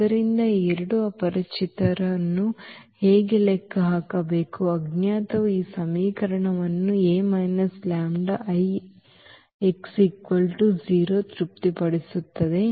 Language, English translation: Kannada, So, how to compute these two unknowns so, that those unknown satisfy this equation A minus lambda I x is equal to 0